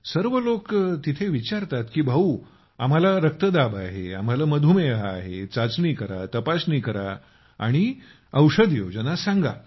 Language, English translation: Marathi, Everyone there asks that brother, we have BP, we have sugar, test, check, tell us about the medicine